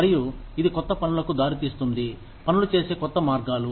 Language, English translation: Telugu, And, that results in newer things, newer ways of doing things